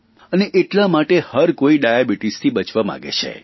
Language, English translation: Gujarati, And so everyone is wary of Diabetes